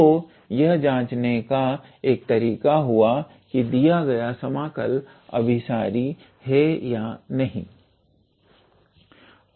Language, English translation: Hindi, So, this is one way to check whether the given integral is convergent or not